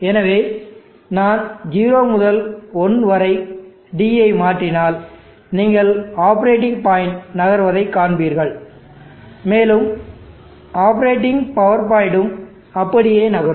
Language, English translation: Tamil, So if I swing D from 0 to 1 you will see the operating point moves and the operating power point also moves like that